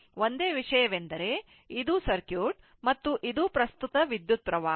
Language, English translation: Kannada, And only thing is that, this is the circuit and this is the circuit, this is the current flowing right